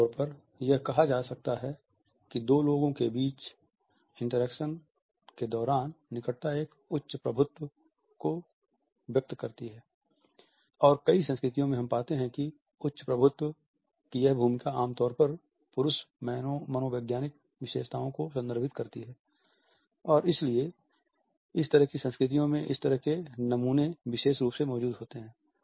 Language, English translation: Hindi, Generally, it can be said that closer proximity during dyadic interactions conveys a higher dominance and in several cultures we find that this role of higher dominance is normally referred to the male psychological characteristics and therefore, such stereotypes are especially strong in such cultures